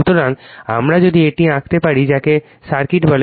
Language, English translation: Bengali, So, we if you if you draw this your what you call the circuit